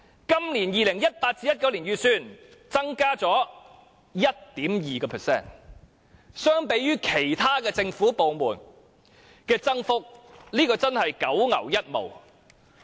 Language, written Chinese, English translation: Cantonese, 今年 2018-2019 年度預算增加 1.2%， 相對於其他政府部門的增幅，這真的是九牛一毛。, There is an increase of 1.2 % in the estimate for new media this year in 2018 - 2019 . But compared to the increases for other government departments this is indeed just a drop in a bucket